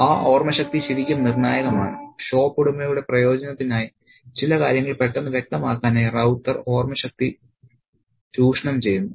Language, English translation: Malayalam, And that power of memory is really crucial and Ravta exploits the power of memory to quickly make certain things evident for the benefit of the shop owner